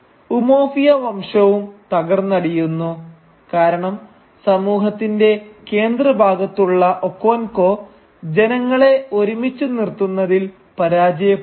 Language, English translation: Malayalam, And the clan of Umuofia falls because Okonkwo, the man who is at the centre of the community, fails to hold the people together